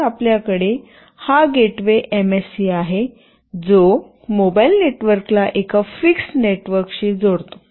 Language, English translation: Marathi, So, you have this gateway MSC, which connects mobile network to a fixed network